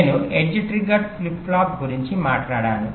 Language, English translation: Telugu, well, i talked about edge trigged flip flop